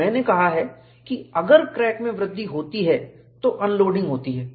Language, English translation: Hindi, And I have said, if there is a crack growth, unloading takes place